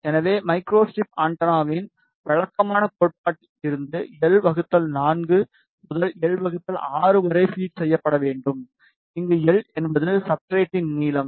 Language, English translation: Tamil, So, we know from the conventional theory of micro strip antenna that feed should be placed between l by 4 to l by 6 where l is the length of the substrate